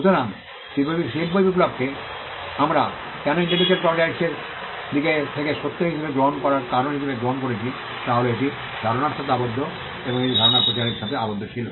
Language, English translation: Bengali, So, the reason why we take the industrial revolution as the point where in intellectual property rights, actually took off is it was tied to idea and it was tied to dissemination of ideas